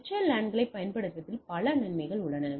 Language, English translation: Tamil, So, there are several advantages of using VLANs